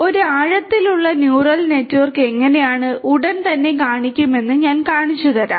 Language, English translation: Malayalam, I will show you how a deep neural network looks like schematically, shortly